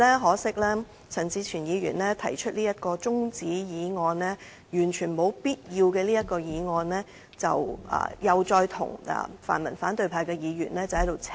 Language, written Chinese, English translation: Cantonese, 可惜陳志全議員提出這項完全沒有必要的中止待續議案，再與泛民反對派議員"扯貓尾"。, It is a pity that Mr CHAN Chi - chuen has proposed this absolutely unnecessary adjournment motion and put up a collaborative show with the pan - democratic Members from the opposition camp to cheat the people